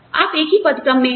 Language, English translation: Hindi, You are in the same grade